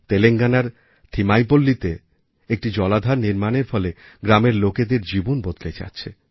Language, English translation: Bengali, The construction of the watertank in Telangana'sThimmaipalli is changing the lives of the people of the village